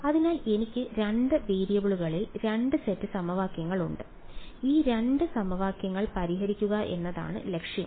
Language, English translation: Malayalam, So, I have 2 sets of equations in 2 variables and the goal is to solve these 2 equations